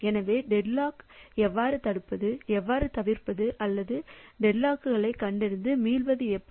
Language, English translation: Tamil, So, how can we prevent deadlock, how can we avoid deadlock or how can we detect dead lock and recover